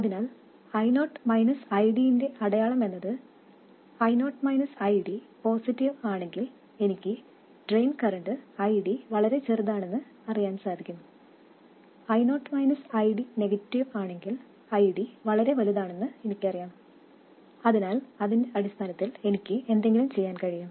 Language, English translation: Malayalam, So, the sign of I0 minus ID if I0 minus ID is positive I know that my drain current ID is too small and if I0 minus ID is negative I know that ID is too large